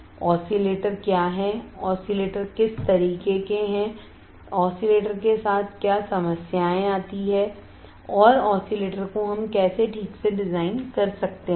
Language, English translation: Hindi, What are oscillators, what are kind of oscillators, what are the problem arises with oscillators, and how we can design oscillators alright